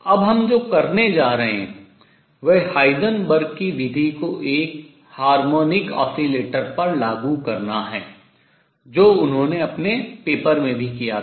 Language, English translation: Hindi, What we are going to do now is apply Heisenberg’s method to a harmonic oscillator which also heated in his paper